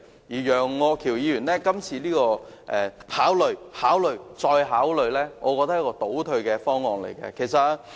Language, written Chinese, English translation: Cantonese, 楊岳橋議員今次提出的考慮、考慮、再考慮建議，我認為是一個倒退的方案。, Mr Alvin YEUNG proposes in his amendment that the Government should consider doing this and that but I think it is nothing but a retrogressive proposal